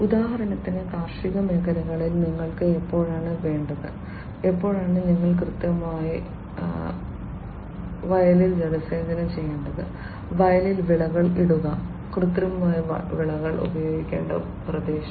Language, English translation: Malayalam, For example, when it is you know when do you need in the agricultural field, when do you need precisely to irrigate the field, to put fertilizers in the field, and exactly the area, where the fertilizers will have to be applied